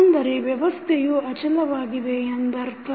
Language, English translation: Kannada, That means that the system is stable